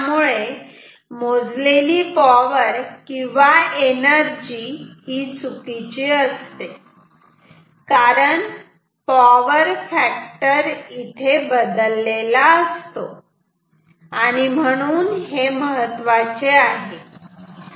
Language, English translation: Marathi, So, power or energy measurement will be wrong because power factor will get changed ok